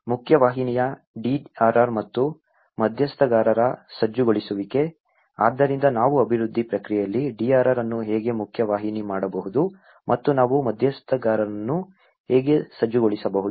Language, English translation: Kannada, Mainstreaming DRR and mobilization of stakeholders; so how we can mainstream the DRR into the development process and how we can mobilize the stakeholders